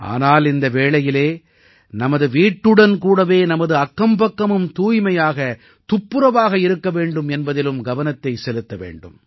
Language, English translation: Tamil, But during this time we have to take care that our neighbourhood along with our house should also be clean